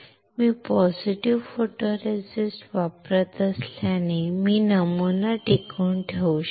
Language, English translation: Marathi, Since I use positive photoresist, I can retain the pattern